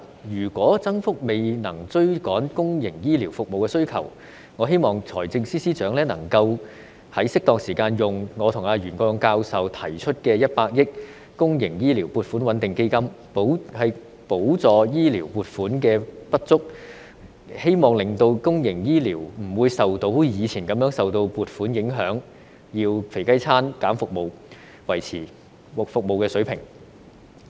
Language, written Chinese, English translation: Cantonese, 如果增幅未能追趕公營醫療服務需求，我希望財政司司長能在適當時間動用我與袁國勇教授提出設立的100億元公營醫療撥款穩定基金，補助醫療撥款的不足，希望令公營醫療不會像以前一樣受撥款影響，要以"肥雞餐"削減服務才能維持服務水平。, If the rate of increase fails to catch up with the demand for public healthcare services I hope that the Financial Secretary FS can adopt the proposal put forward by Prof YUEN Kwok - yung and I to establish a 10 billion public healthcare stabilization fund at the appropriate time to subsidize the insufficient healthcare funding . I hope that public healthcare services will not be affected like the past when voluntary retirement packages were offered to cut services so as to maintain the standard